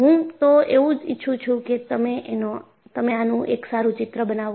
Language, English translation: Gujarati, And, I would like you to make a neat sketch of this